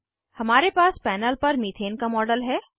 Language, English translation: Hindi, We have a model of methane on the panel